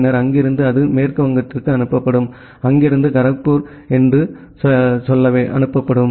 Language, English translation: Tamil, Then from there it will be forwarded to West Bengal, from there it will be forwarded to say Kharagpur